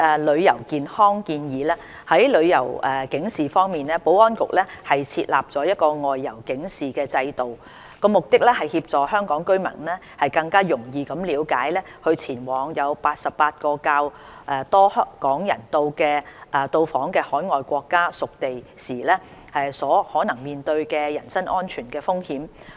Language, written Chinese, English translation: Cantonese, 旅遊健康建議在旅遊警示方面，保安局設有"外遊警示制度"，旨在協助香港居民更容易了解在前往88個較多港人到訪的海外國家/屬地時所可能面對的人身安全風險。, Travel Health Advice Regarding travel alerts the Outbound Travel Alert OTA System set up by the Security Bureau aims to help people better understand the possible risk or threat to personal safety in travelling to 88 countriesterritories that are popular travel destinations for Hong Kong residents which do not include the Mainland